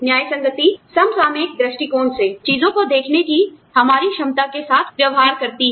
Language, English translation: Hindi, Equitability deals with, our ability to look at things, from a contextual point view